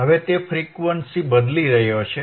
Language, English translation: Gujarati, and n Now he is changing the frequency